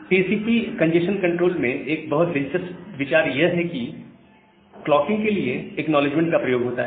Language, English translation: Hindi, So, one of the most interesting ideas in TCP congestion control is use of acknowledgement for clocking